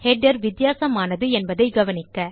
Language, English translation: Tamil, Notice that the header is different